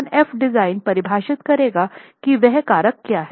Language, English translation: Hindi, So, F S by F design would define what that factor itself is